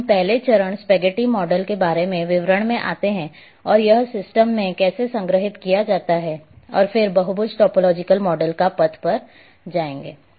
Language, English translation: Hindi, So, we come to the details about first step spaghetti model and how it is stored in the system, and then path polygon topological model